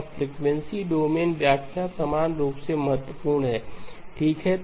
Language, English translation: Hindi, Now the frequency domain interpretation equally important okay